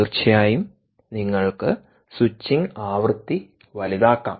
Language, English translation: Malayalam, of course, you could increase the switching frequency, right, you can